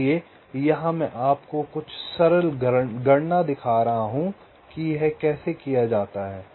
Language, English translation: Hindi, so here i shall be showing you some simple calculation how it is done